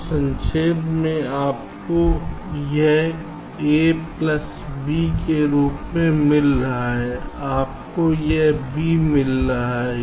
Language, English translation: Hindi, ok, so to summarize, you have got this as a plus b, you have got this b